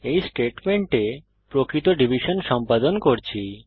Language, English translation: Bengali, In this statement we are performing real division